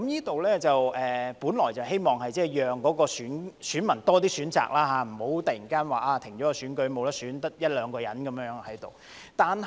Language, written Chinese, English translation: Cantonese, 這安排本來是希望讓選民有更多選擇，免得突然停止選舉，只剩一兩個候選人而無法選。, The original intent of this arrangement was to give voters more choices so that the election would not end suddenly or leave voters with no choice when there were only one or two candidates to choose from